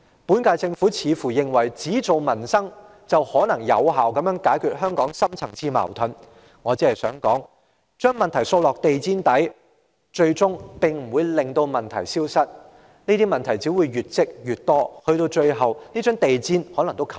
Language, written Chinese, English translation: Cantonese, 本屆政府似乎認為只做民生，便可有效解決香港的深層次矛盾，我只想指出，將問題掃入地毯底，最終不會令問題消失，這些問題只會越積越多，最後連地毯也蓋不住。, The Government of the current term seems to consider that focusing merely on livelihood issues is the effective solution to the deep - rooted conflicts in Hong Kong . I only wish to point out that sweeping the problems under the carpet will not make the problems disappear . On the contrary these problems will accumulate in volume and eventually the carpet will be too small to cover all of them